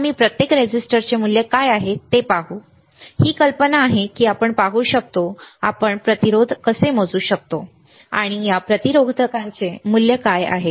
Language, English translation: Marathi, So, we will see what is the value of each resistor ok, this is the idea that we see how we can measure the resistance and what is the value of these resistors